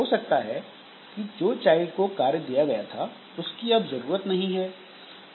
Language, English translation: Hindi, Then task assigned to child is no longer required